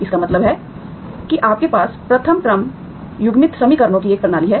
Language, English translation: Hindi, That means you have a system of first order coupled equations, okay